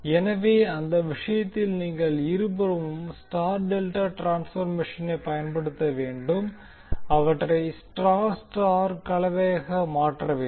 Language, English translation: Tamil, So what you have to do in that case, you have to use star delta transformation on both sides, convert them into star star combination